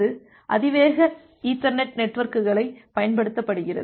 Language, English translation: Tamil, And that uses high speed ethernet networks